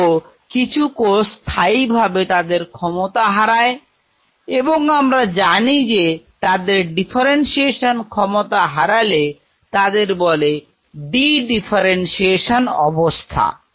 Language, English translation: Bengali, Yet there will be certain cells who will lose their permanently as of now what we know from the literature their differentiation ability and they are called de differentiated cells